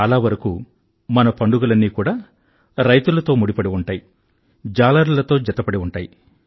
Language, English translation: Telugu, Many of our festivals are linked straightaway with farmers and fishermen